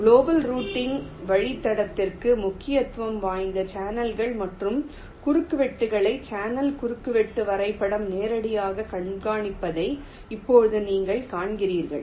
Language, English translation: Tamil, right now, you see, the channel intersection graph directly keeps track of the channels and intersections, which is important for global routing